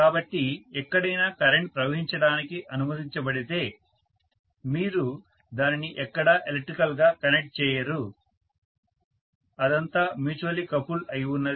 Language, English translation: Telugu, So, anywhere if the current is allowed to flow you are not connecting it electrically anywhere, it is all mutually coupled